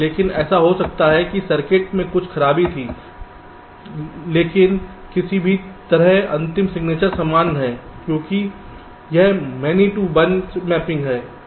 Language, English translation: Hindi, but it may so happen that there was some fault in the circuit, but somehow the sig final signature remained the same because its a many to one mapping